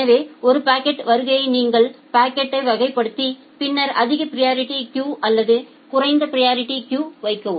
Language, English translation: Tamil, So, on arrival of a packet you classify the packet and then put it either in the high priority queue or in the low priority queue